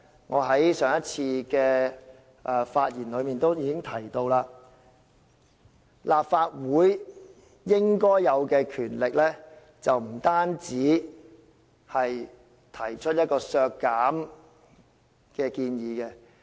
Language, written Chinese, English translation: Cantonese, 我在上次發言時已提到，立法會享有的權力不應只限於提出削減開支的建議。, As I said in my last speech the powers of the Legislative Council should not be limited to making proposals for reduction of expenditures